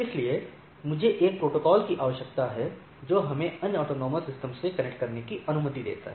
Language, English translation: Hindi, So, I need a protocol which allows us to connect to the other autonomous systems